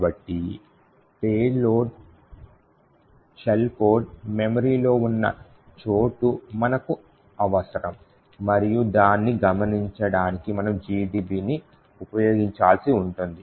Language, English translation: Telugu, So, we would require to know where exactly in memory the shell code is present and in order to notice we would need to use GDB